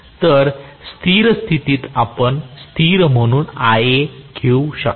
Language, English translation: Marathi, So, in steady state you can have Ia as a constant